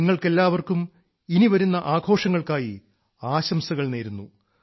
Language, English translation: Malayalam, My very best wishes to all of you for the forthcoming festivals